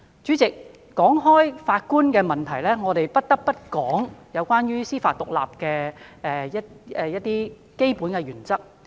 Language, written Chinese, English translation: Cantonese, 主席，談到法官的問題，我們不得不提及關於司法獨立的基本原則。, President talking about Judges we cannot but have to mention the fundamental principles of judicial independence